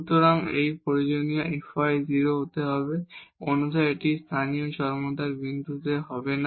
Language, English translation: Bengali, So, this is necessary that f y has to be 0 otherwise it will not be a point of local extremum